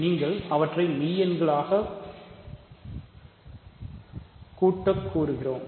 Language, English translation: Tamil, So, you add them as real numbers